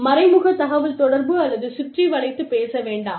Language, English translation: Tamil, Do not rely on indirect communication, or beat about the bush